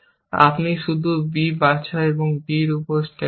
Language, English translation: Bengali, You just pick up b and stack on to d